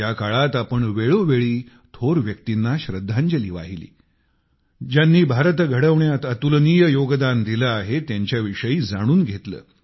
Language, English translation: Marathi, During all this, from time to time, we paid tributes to great luminaries whose contribution in the building of India has been unparalleled; we learnt about them